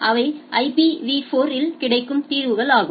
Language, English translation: Tamil, So, those are solutions which are available on the IPv4